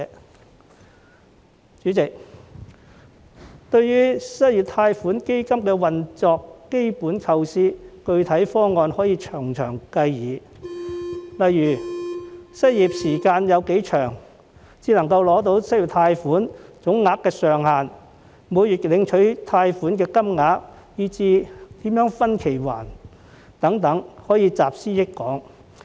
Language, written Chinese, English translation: Cantonese, 代理主席，關於失業貸款基金的運作，其基本構思和具體方案可以從長計議，例如失業時間多長才可以申領失業貸款、貸款總額上限、每月領取的貸款金額，以至如何分期償還等，都可以集思廣益。, Deputy President regarding the operation of the unemployment loan fund the basic idea and specific proposal can be further discussed . For example the duration of unemployment as an eligibility requirement for application for the unemployment loan the ceiling on the total loan amount the monthly loan amount to be collected as well as how to make repayment by instalment can be discussed by drawing on collective wisdom